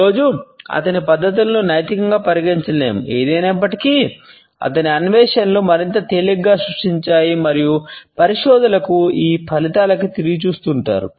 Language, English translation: Telugu, His methods today cannot be considered ethical; however, it was his findings which created more on ease and is still researchers go back to these findings